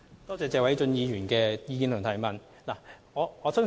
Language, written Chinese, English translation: Cantonese, 多謝謝偉俊議員的意見及質詢。, I thank Mr Paul TSE for his suggestions and question